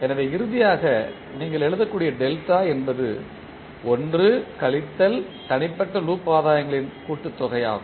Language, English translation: Tamil, So, finally the delta is which you can write is 1 minus summation of the individual loop gains